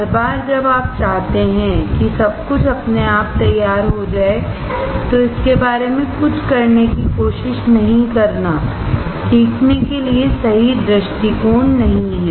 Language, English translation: Hindi, Every time you wanting everything to be ready without yourself trying to do something about it, is not a correct approach for learning